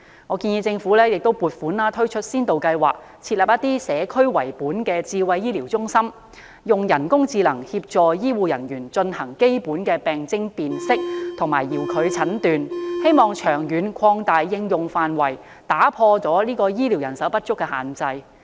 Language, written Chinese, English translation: Cantonese, 我建議政府撥款推出先導計劃，設立以社區為本的智慧醫療中心，以人工智能協助醫護人員進行基本的病徵辨識及遙距診斷，並長遠擴大應用範圍，打破醫療人手不足的限制。, I advise the Government to provide funding for a pilot scheme for the establishment of a community - oriented smart healthcare centre . Such a centre can use AI to assist healthcare personnel in basic symptom identification and distance diagnosis . In the long run the scope should be expanded to break the constraints imposed by manpower shortage